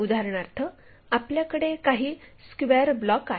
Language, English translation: Marathi, For example, if we might be having some square block